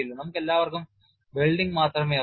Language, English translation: Malayalam, We all know only welding we have no bracing and so on